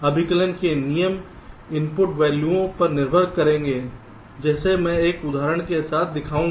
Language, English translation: Hindi, the rules for computation will depend on the input values, like i shall show with some examples